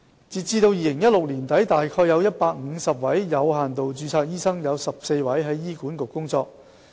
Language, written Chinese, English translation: Cantonese, 截至2016年年底，有限度註冊醫生約有150人，其中14人在醫管局工作。, As at the end of 2016 there were about 150 doctors with limited registration amongst which 14 worked in HA